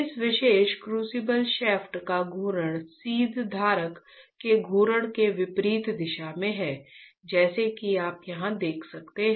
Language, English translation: Hindi, The rotation of this particular crucible shaft is in opposite direction to the rotation of the seed holder as you can see here right